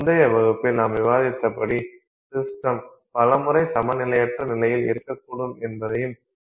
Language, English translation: Tamil, Then as we discussed in an earlier class, we also have to keep in mind that many times the system may be in a non equilibrium state